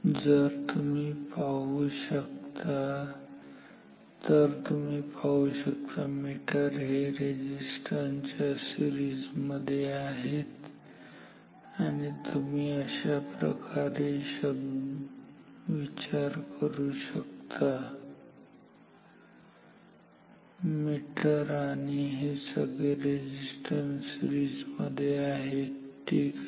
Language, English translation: Marathi, So, you see that the meter and this resistance is in series and here also if you think like this, the meter and these resistance they are in series ok